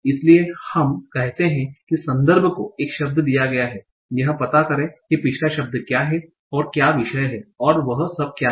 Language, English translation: Hindi, So we say context is given a word, find out what is the context, what are the previous words and what is the topic and all that